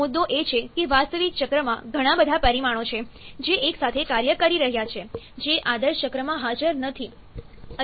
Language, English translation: Gujarati, Issue is that in an actual cycle, there are so many parameters which are acting together, which is not present in ideal cycle